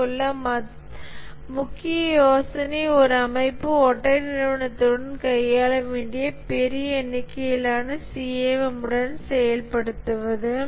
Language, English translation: Tamil, The main idea here is integrating a large number of CMMs that an organization would have to deal with into a single one